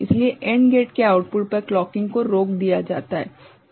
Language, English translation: Hindi, So, at the output of the AND gate, the clocking is stopped is it ok